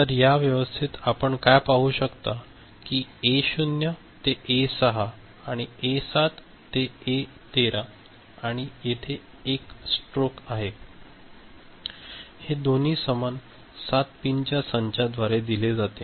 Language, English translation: Marathi, So, in this arrangement what you can see that A naught to A6 these 7, and A7 to A13 there is a stroke over there; both are fed through same set of 7 pins